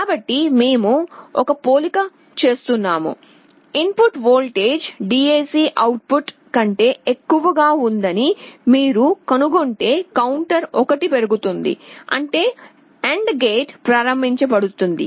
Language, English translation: Telugu, So, we are making a comparison, if you find that the input voltage is greater than the DAC output then the counter is incremented by 1; that means, the AND gate is enabled